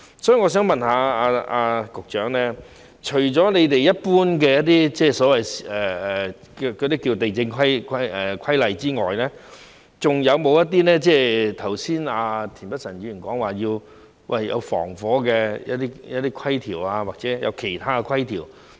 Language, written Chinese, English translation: Cantonese, 所以，我想問局長，除了一般有關土地的規例之外，是否還有一些剛才田北辰議員提及的消防方面的規例，或者其他規條？, So I wish to ask the Secretary whether there are regulations regarding fire safety as mentioned by Mr Michael TIEN just now or any other regulations in addition to the general regulations on land?